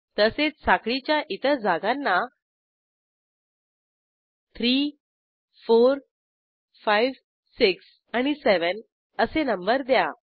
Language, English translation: Marathi, Likewise I will number the other chain positions as 3, 4, 5, 6 and 7